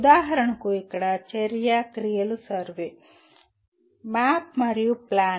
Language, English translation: Telugu, For example action verbs here are survey, map and plan